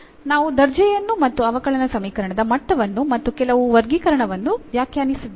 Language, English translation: Kannada, So, we have defined the order and also the degree of the differential equation and also some classification we have done